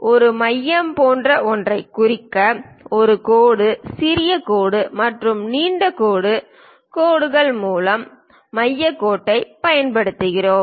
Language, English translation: Tamil, To represents something like a center we use center line by dash, small dash and long dash lines